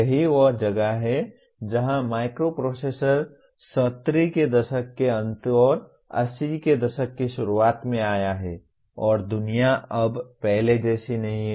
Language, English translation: Hindi, That is where the microprocessor have come in late ‘70s and early ‘80s and the world is not the same anymore